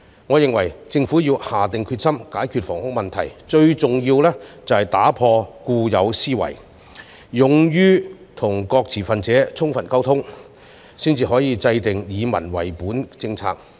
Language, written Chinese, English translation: Cantonese, 我認為，政府必須下定決心解決本地住屋問題，當中最重要的，是打破固有思維，勇於跟各持份者充分溝通，這樣才可以制訂以民為本的政策。, I opine that the Government must be determined to resolve the local housing problem and the most important thing is to break away from its old mindset and have the courage to communicate effectively with various stakeholders . Only by doing so can people - oriented policies be formulated